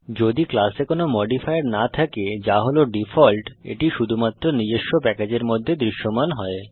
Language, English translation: Bengali, If a class has no modifier which is the default , it is visible only within its own package